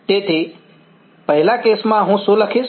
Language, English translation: Gujarati, So, the first case, what will I write